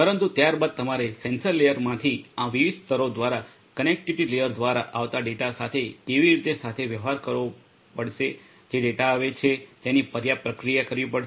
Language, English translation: Gujarati, But thereafter how do you know you have to deal with the data that is coming through these different layers from the sensor layer through the connectivity layer the data that are coming will have to be processed adequately